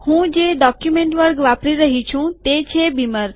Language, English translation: Gujarati, The document class that I am using is beamer